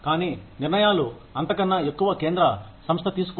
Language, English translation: Telugu, But, decisions, any higher than that, are made by a central organization